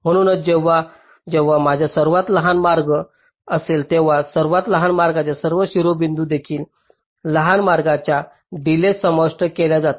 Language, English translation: Marathi, ok, so whenever i have a shortest path, all the vertices along the shortest path also will be included in the shortest path delay